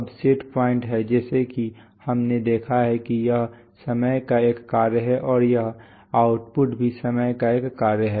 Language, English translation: Hindi, Now the set point is as we have noted it is a function of time and this output is also a function of time